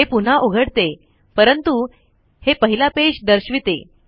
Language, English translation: Marathi, It re opens but shows the first page